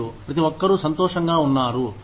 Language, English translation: Telugu, And, everybody is happy